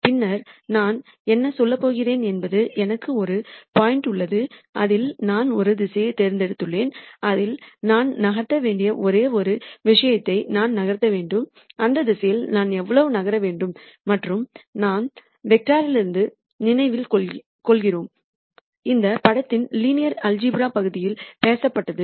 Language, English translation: Tamil, And then what I am going to say is I have a current point I have chosen a direction in which I want to move the only other thing that I need to gure out is how much should I move in this direction, and remember from vectors we talked about in the linear algebra portion of this course